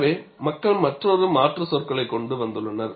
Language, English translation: Tamil, So, people have come out with another alternate terminology